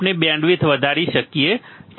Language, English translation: Gujarati, We can increase the band width we can increase the bandwidth